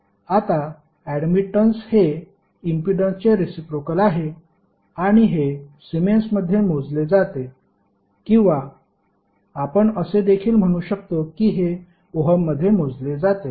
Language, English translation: Marathi, Now admittance is nothing but reciprocal of impedance and it is measured in siemens or you can say it is also measured in mho